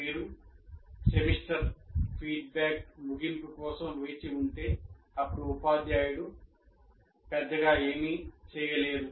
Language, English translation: Telugu, So what happens is, but if you wait for the end of the semester feedback, then there is nothing much the teacher can do